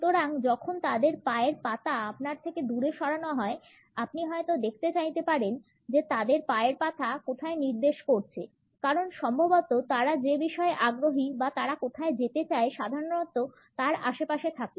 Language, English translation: Bengali, So, when their foot is pointed away from you; you might want to look where their foot is pointed because they are most likely it is in the general vicinity of what they are interested in or where they want to go